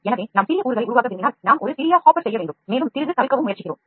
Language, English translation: Tamil, So, if you want to make small components then we have to make a small hopper and we also try to avoid the screw